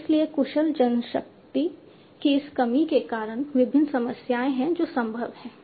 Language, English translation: Hindi, So, because of this lack of skilled manpower, there are different problems that are possible